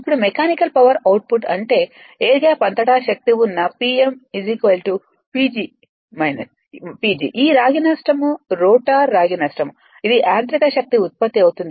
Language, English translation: Telugu, Now, mechanical power output that is the gross power right that P m is equal to P G that is your power across the air gap minus this copper loss rotor copper loss that will be mechanical power output